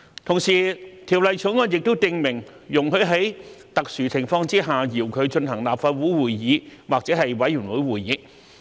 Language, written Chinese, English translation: Cantonese, 同時，《條例草案》也訂明，容許在特殊情況下遙距進行立法會會議或委員會會議。, Meanwhile it is also stipulated in the Bill that sittings of the Council or a committee are allowed to be conducted remotely in exceptional circumstances